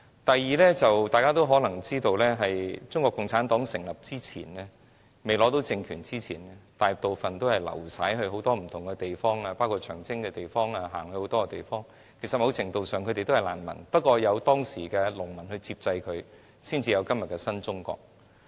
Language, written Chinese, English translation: Cantonese, 第三點，眾所周知，在中國共產黨在未取得政權之前，大部分黨員都流徙在不同地方，包括長征時走過很多地方，其實某程度上他們也是難民，只是他們當時得到了農民接濟，才得以有今天的新中國。, Thirdly as we all know before the Chinese Communist Party took power most of the party members scattered in different places including the many places covered by the Long March . In fact to a certain extent they were also refugees . It was only due to the material assistance given to them by the peasants back then that they could build a new China today